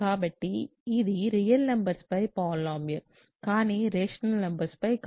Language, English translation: Telugu, So, this is a polynomial over real numbers, but not over rational numbers